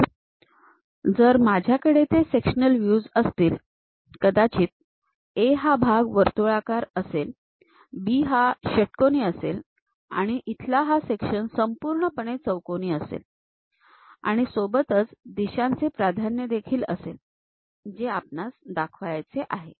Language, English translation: Marathi, So, if I am having those sectional views, perhaps this A part section might be circular, the B part is something like your hexagon, and here the section is completely square kind of thing, along with the directional preference we have to show